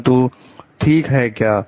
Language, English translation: Hindi, But is it ok